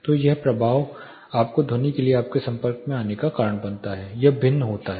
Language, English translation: Hindi, So, the impact that causes you the exposure you have for the sound varies